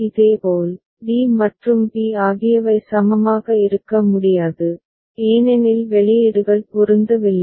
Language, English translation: Tamil, Similarly, d and b cannot be equivalent because outputs are not matching